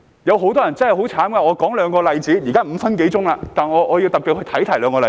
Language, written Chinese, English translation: Cantonese, 有很多人真的很可憐，讓我舉兩個例子......現在已過了5分多鐘，但我要特別提出兩個例子。, Many people are pitiful indeed . Let me cite two examples More than five minutes have passed now but I would like to highlight two examples